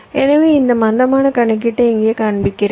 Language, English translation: Tamil, so i am showing this slack computation here now